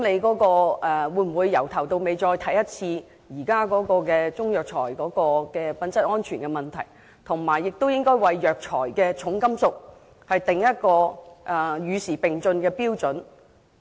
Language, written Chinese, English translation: Cantonese, 他們會否重新檢視現時中藥材的品質安全問題，以及就藥材的重金屬含量訂定與時並進的標準？, Will they review afresh the current quality and safety of Chinese herbal medicines and formulate up - to - date standards for heavy metals content in herbal medicines?